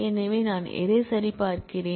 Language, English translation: Tamil, So, what I am checking for